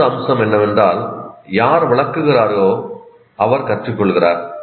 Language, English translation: Tamil, And another aspect is whoever explains also learns